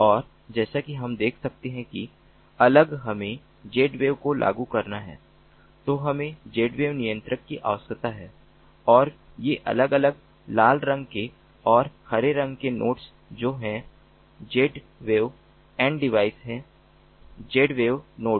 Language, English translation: Hindi, and, as we can see that if we have to implement z wave, we need a z wave controller and these different red colored and green colored nodes which are the z wave n devices, the z wave nodes